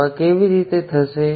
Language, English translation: Gujarati, How does this come about